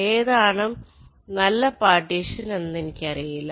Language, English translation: Malayalam, so so i don't know which is the best partition